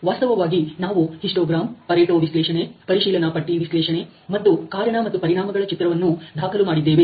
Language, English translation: Kannada, So in fact, we have recorded the histogram, the pareto analysis the check sheet analysis and the cause and effect diagrams